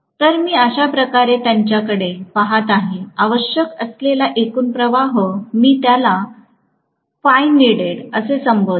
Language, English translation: Marathi, So, I am looking at it this way, the total flux needed, I will call this as phi needed